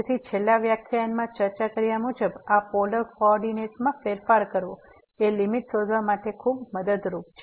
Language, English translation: Gujarati, So, as discussed in the last lecture, this changing to polar coordinate is very helpful for finding out the limit